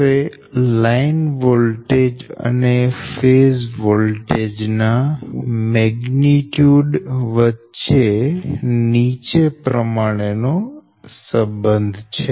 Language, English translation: Gujarati, the relationship between the line voltage and phase voltage magnitude is v